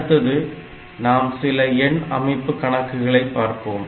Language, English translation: Tamil, Next, we will try to solve a few problems on this number system